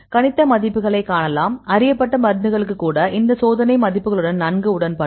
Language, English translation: Tamil, So, you can see the predicted values; agree well with these experimental values even for the known drugs